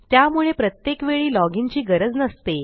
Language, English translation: Marathi, So you dont have to keep logging in